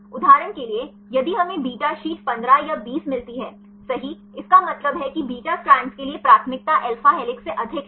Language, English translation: Hindi, For example, if we get the beta sheet 15 or 20 right then; that means, the preference for beta strand is more than alpha helix